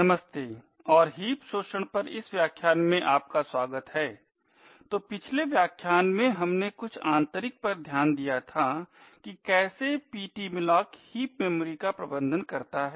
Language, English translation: Hindi, Hello and welcome to this lecture on heap exploits, so in the previous lecture we had looked at some of the internals about how ptmalloc manages the heap memory